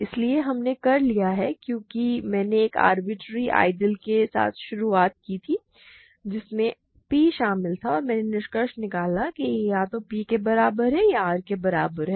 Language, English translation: Hindi, So, we are done because I have started with an arbitrary ideal that contains P and I have concluded it is either equal to P